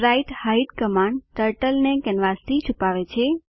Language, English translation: Gujarati, spritehide command hides Turtle from canvas